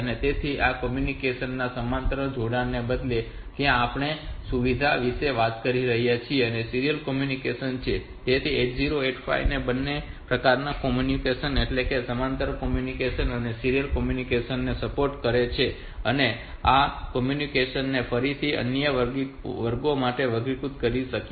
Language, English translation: Gujarati, So, instead of parallel connections of this communication where facility that we are talking about so this is the serial communication, so 8085 it supports both the types of communication parallel communication and serial communication and this parallel communication can again be classified into classes so this like control this transfer of data